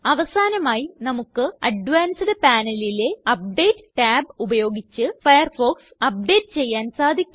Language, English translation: Malayalam, Lastly, we can update Firefox using the Update tab in the Advanced panel